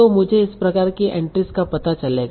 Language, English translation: Hindi, So I will find out a set of entries